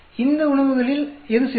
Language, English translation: Tamil, And out of these food, which one is the best